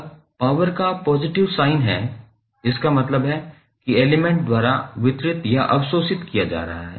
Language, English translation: Hindi, Now, the power has positive sign it means that power is being delivered to or absorbed by the element